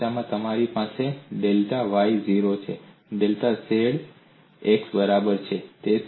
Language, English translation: Gujarati, The second case you have delta y equal to 0 delta z equal to delta x, so it varies like this